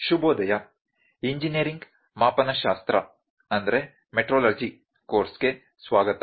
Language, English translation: Kannada, Good morning welcome back to the course Engineering Metrology